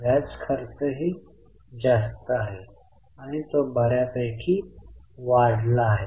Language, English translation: Marathi, Interest cost is also high and it has gone up substantially